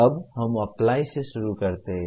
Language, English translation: Hindi, Now, let us start with Apply